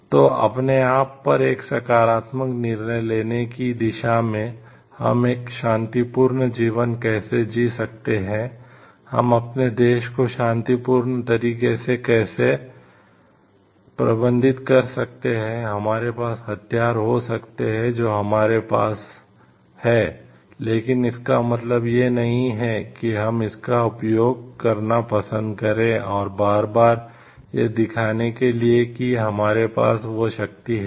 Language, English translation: Hindi, So, having a self control on oneself taking a positive decision towards, how we can lead a peaceful life, how we can manage our country in a peaceful way, with the we may be having the weapons we may be having the equipments, but it does not mean we need to like use it time and again often, to show that we have that power